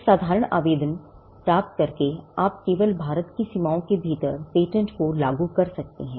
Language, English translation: Hindi, By getting an ordinary application, you can only enforce the patent within the boundaries of India